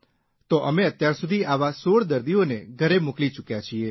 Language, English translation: Gujarati, So far we have managed to send 16 such patients home